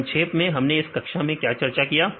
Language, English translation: Hindi, So, in summarizing; so what did we discussed in this class